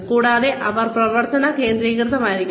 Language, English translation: Malayalam, And, they should be action oriented